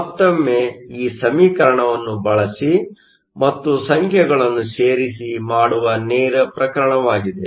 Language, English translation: Kannada, Once again it is a straight case of using this equation and plugging in the numbers